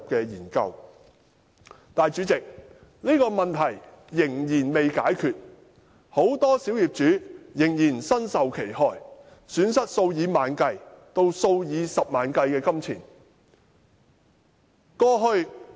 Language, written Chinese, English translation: Cantonese, 但是，代理主席，這問題仍未解決，很多小業主仍然身受其害，損失數以萬計至數以十萬元計的金錢。, Nevertheless Deputy President this problem remains unsolved . Many minority owners are still suffering losing tens to hundreds of thousands of dollars